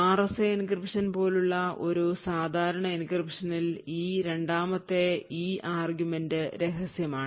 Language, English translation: Malayalam, So in a typical RAC like encryption, this second argument the key argument is secret